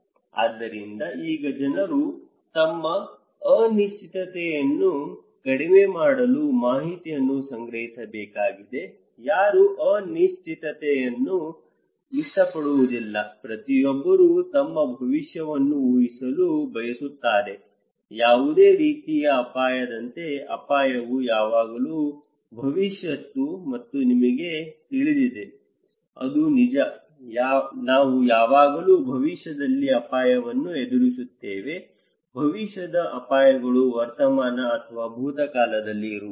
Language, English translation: Kannada, So, now people need to collect information in order to reduce their uncertainty, no one likes uncertainty, everyone wants to predict their future, like any kind of risk; risk is always future you know that is true, we always face risk in future, future risks cannot be in present or past is always in future like fear, so like uncertainty so, it is always in future